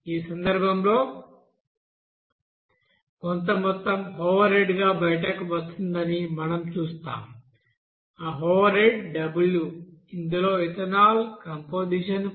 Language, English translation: Telugu, And in this case we will see that some amount will be coming out as overhead that overhead will be you know as w which will contains that composition as ethanol as you know 5